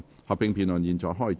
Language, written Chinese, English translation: Cantonese, 合併辯論現在開始。, The joint debate now begins